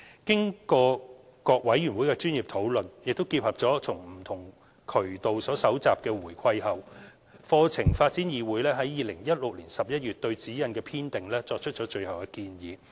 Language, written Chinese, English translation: Cantonese, 經過各委員會的專業討論，並結合從不同渠道所蒐集的回饋後，課程發展議會於2016年11月對《指引》的編訂作出最後建議。, After taking into account the professional deliberations of various committees and feedback collected from various channels CDC made its final recommendations in respect of SECG in November 2016